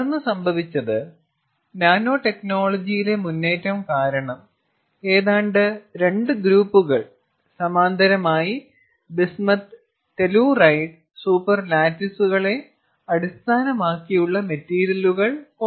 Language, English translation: Malayalam, and then what happened was, because of advances in nanotechnology, the almost two groups parallelly came up with a, a material which was again based on bismuth telluride super lattices